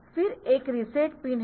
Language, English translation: Hindi, a reset pin